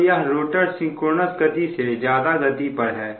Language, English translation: Hindi, that means the rotor is running above synchronous speed